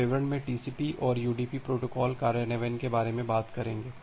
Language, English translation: Hindi, We will talk about the TCP and UDP protocol implementation in details